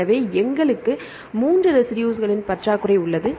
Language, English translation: Tamil, So, we have a shortage of 3 residues